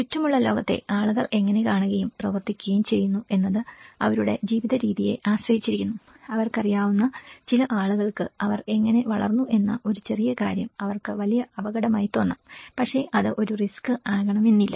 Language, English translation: Malayalam, And itís all about how people perceive and act upon the world around them depends on their way of life you know for them, for some people how they are grown up a small thing is a huge risk for them but for the same thing may not be a risk at all